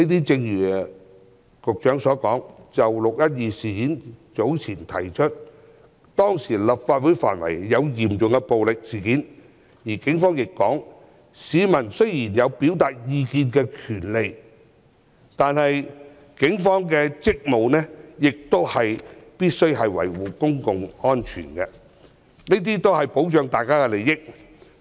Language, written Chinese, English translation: Cantonese, 正如局長所說，"六一二"事件中，立法會範圍發生嚴重暴力事件，市民雖然有表達意見的權利，但警方的職務是維護公共安全，保障大家的利益。, As pointed out by the Secretary in the 12 June incident serious violent incidents occurred in the precincts of the Complex . Although members of the public had the right of expression the Police were duty - bound to maintain public order and protect the interests of people